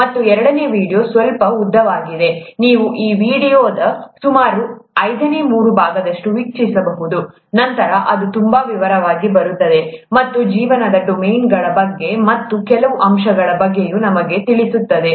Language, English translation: Kannada, And the second video is slightly longer, about, you could watch about three fifths of that video, then it gets into too much detail and this would tell you all about the domains of life and some of these aspects also